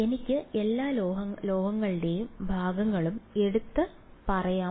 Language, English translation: Malayalam, So, I can take all the metal parts and say this is